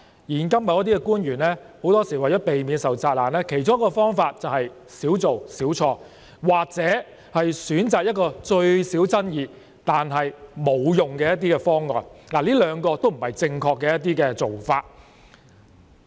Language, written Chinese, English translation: Cantonese, 現今某些官員很多時候為避免受責難，其中一個方法便是"少做少錯"，或選擇一項最少爭議但沒有效用的方案，這兩者均不是正確的做法。, In these days in order to avoid being criticized some officials will adopt the do less err less approach or they will choose the less controversial but ineffective option . The two approaches are wrong